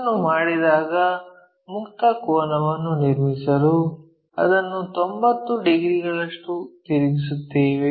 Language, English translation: Kannada, When it is done we rotate it by 90 degrees all the way to construct free angle